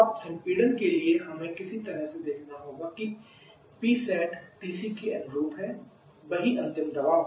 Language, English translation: Hindi, Now to compression we have to some of these that P sat corresponding to TC the same final pressure